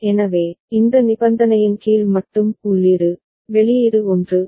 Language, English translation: Tamil, So, under this condition only the input, output is 1